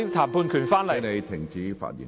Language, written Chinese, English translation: Cantonese, 張超雄議員，請停止發言。, Dr Fernando CHEUNG please stop speaking